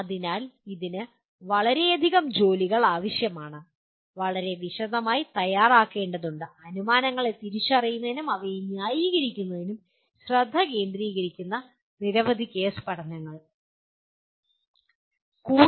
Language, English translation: Malayalam, But this requires a lot of work and preparing a very very detail, several case studies of that where the focus is on identifying assumptions and justifying them